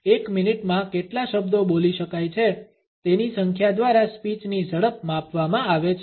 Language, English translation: Gujarati, The speed of a speed is measured by the number of words which car is spoken with in a minute